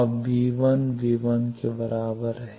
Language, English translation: Hindi, So, v1 plus is equal to v1